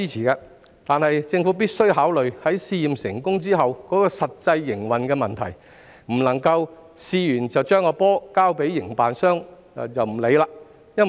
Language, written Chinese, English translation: Cantonese, 然而，政府必須考慮試驗成功後的實際營運問題，不能在試驗後把"球"交給營辦商便置之不理。, Yet the Government must consider the practical operational issues that will arise after the successful completion of trials and must not simply pass the ball to the court of the operators and sit on its hands after that